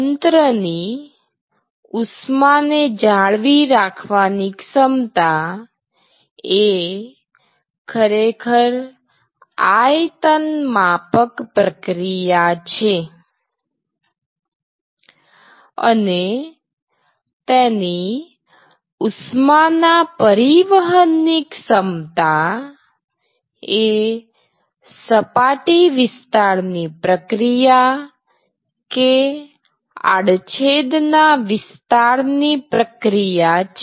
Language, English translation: Gujarati, So, you must understand that the capability of a system to store heat is actually a volumetric process and the capability of it to transport heat is actually a surface area process or a cross sectional area process